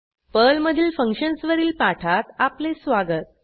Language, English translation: Marathi, Welcome to the spoken tutorial on Functions in Perl